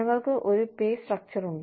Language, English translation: Malayalam, We also have a pay structure